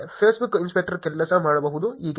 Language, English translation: Kannada, That is how Facebook inspector works